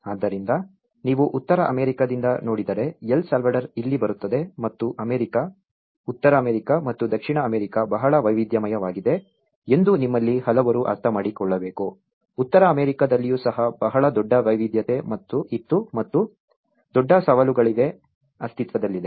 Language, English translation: Kannada, So, its almost if you look from the North America and so, this is where El Salvador comes and many of you have to understand that the America, the North America and the South America was very diverse even within North America there was very great diversity exist and great challenges exist